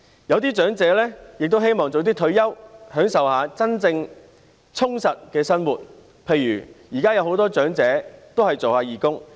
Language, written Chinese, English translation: Cantonese, 有些長者也希望早點退休，享受一下真正充實的生活，例如現在有很多長者做義工。, Some elderly people also want to retire earlier and enjoy truly full and meaningful lives . For example many elderly people are serving as volunteers nowadays